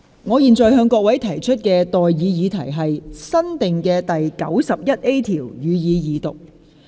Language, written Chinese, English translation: Cantonese, 我現在向各位提出的待議議題是：新訂的第 91A 條，予以二讀。, I now propose the question to you and that is That the new clause 91A be read the Second time